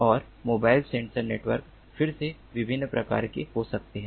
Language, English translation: Hindi, and mobile sensor networks, again, can be of different types